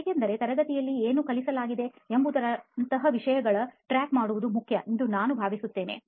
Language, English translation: Kannada, Because I think that it is important to get a track of things like what has been taught in the class